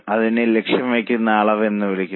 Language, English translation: Malayalam, This is called as a target quantity